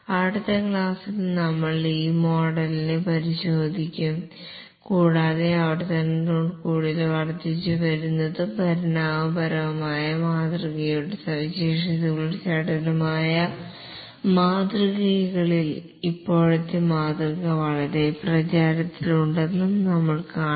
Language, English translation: Malayalam, We'll examine this model in the next class and we'll see that the present model that has become extremely popular at the agile models which have the features of both the incremental and evolutionary model with iterations